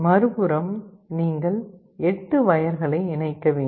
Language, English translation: Tamil, On the flip side you have to connect 8 wires